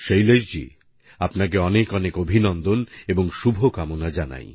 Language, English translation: Bengali, " Well, Shailesh ji, heartiest congratulations and many good wishes to you